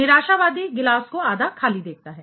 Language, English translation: Hindi, The pessimist sees the glass half empty right